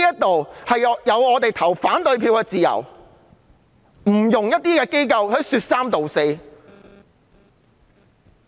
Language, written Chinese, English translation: Cantonese, 我們享有投反對票的自由，不容一些機構說三道四。, We have the freedom to vote against it and interference from certain offices is not welcome